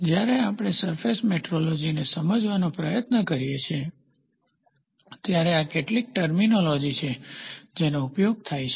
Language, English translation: Gujarati, When we try to understand the surface metrology, these are some of the terminologies which are used